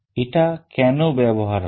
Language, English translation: Bengali, Why it is used